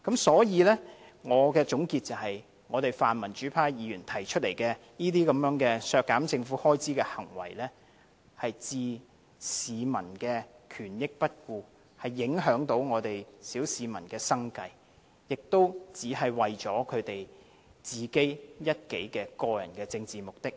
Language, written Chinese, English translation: Cantonese, 所以，我的總結是，泛民主派議員提出這類削減政府開支的行為，是置市民的權益於不顧，會影響我們小市民的生計，無非是為了他們個人的政治目的而已。, For this reason I want to sum up that the acts of cutting government expenditure by pan - democratic Members all ignore the rights and interests of the general public . They will undermine the livelihood of the common masses . These are nothing but acts to achieve their own political agenda